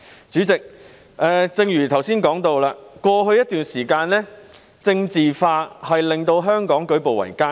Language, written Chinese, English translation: Cantonese, 主席，正如我剛才提到，過去一段時間，"政治化"的問題令香港舉步維艱。, President as I just mentioned over the past period of time politicization has made it extremely difficult for Hong Kong to move forward